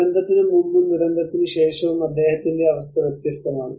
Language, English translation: Malayalam, His situation is different before disaster and after disaster